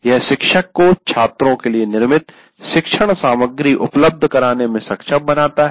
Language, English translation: Hindi, And it enables the teacher to make the curated learning material available to the students